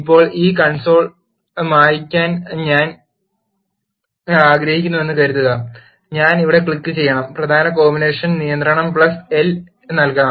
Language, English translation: Malayalam, Now, let us say suppose I want to clear this console what I have to do is I have to click here and I have to enter the key combination control plus L